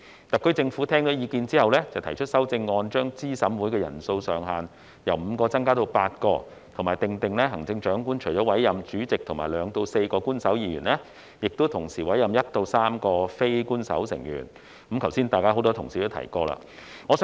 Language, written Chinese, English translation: Cantonese, 特區政府在聽取意見後，提出修正案，將資審會的人數上限由5人增加至8人，並訂定行政長官除了委任主席及2至4名官守成員，須同時委任1至3名非官守成員，剛才很多同事已提及此事。, After listening to our views the SAR Government has proposed amendments to increase the maximum number of members in CERC from five to eight and to provide that the Chief Executive shall in addition to the chairperson and two to four official members appoint one to three non - official members . Just now many Honourable colleagues already mentioned this